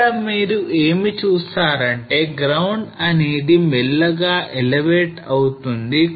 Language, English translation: Telugu, So what you see here is that there is a ground here slowly getting elevated